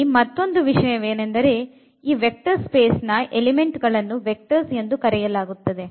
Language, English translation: Kannada, So, that is another point here I would like to mention that the elements of this vector space V will be called vectors